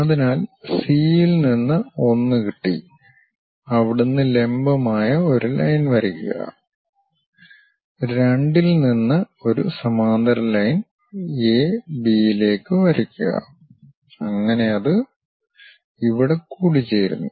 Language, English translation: Malayalam, So, from C we have located 1 drop a perpendicular line, from 2 drop one more parallel line to A B so that it goes intersect here